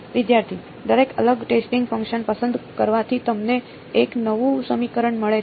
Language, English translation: Gujarati, Every choosing a different testing function gives you a new equation